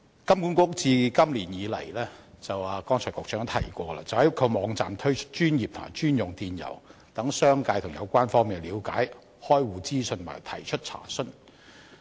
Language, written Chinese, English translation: Cantonese, 剛才局長也提到，金管局自今年開始在其網站推出專頁及專用電郵，讓商界和有關方面了解開戶資訊和提出查詢。, Just now the Secretary also mentioned that this year HKMA set up a dedicated web page on its website and launched a dedicated email account to provide information on account opening for the business sector and the relevant parties as well as to facilitate their enquiries